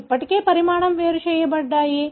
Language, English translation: Telugu, These are already size separated